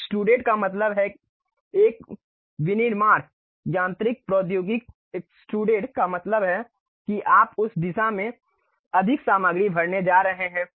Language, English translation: Hindi, Extruded means a manufacturing mechanical technology; extrude means you are going to fill more material in that direction